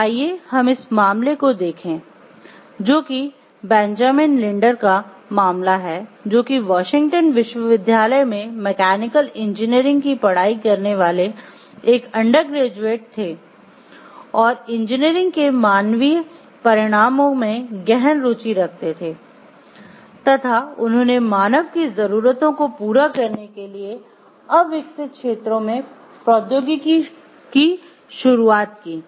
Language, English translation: Hindi, So, let us focus into this case which is the case of Benjamin Linder, as an undergraduate studying mechanical engineering at the University of a Washington Benjamin Linder became intensely interested in the human consequences of engineering and the introduction of technology in undeveloped areas to meet human needs